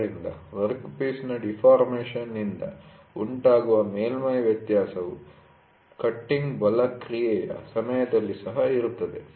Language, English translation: Kannada, So, that is what the surface variation caused by deformation of the workpiece, during the action of cutting force is also there